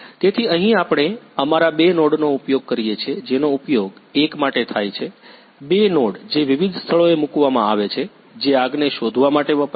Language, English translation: Gujarati, So, here we use our two nodes which are used one are used for the one; two node which are placed in different places which are used to detect the fire